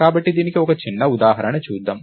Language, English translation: Telugu, So, lets look at this, a small example